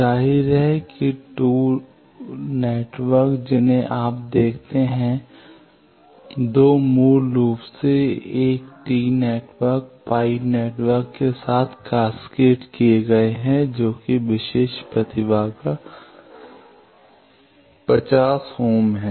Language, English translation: Hindi, Obviously that there are 2 networks you see 2 basically 1 tee network cascaded with a pie network values are given characteristic impedance is 50 ohm